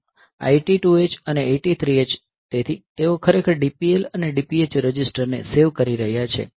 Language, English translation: Gujarati, So, this 82 H, 83 H; so they are actually saving that DPL and DPH registers